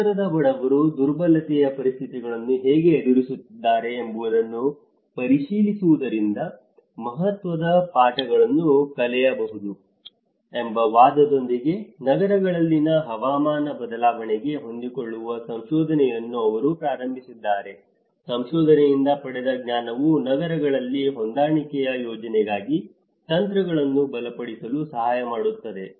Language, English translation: Kannada, They research work adaptation to climate change in cities has been initiated with the argument that significant lessons can be drawn from examining how the urban poor are coping with conditions of increased vulnerability, knowledge gained from the research can help to strengthen strategies for adaptation planning in cities